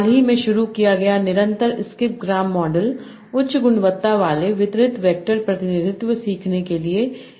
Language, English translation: Hindi, The recently introduced continuous script graph model is an efficient method for learning, high quality, distributed vector representation and so on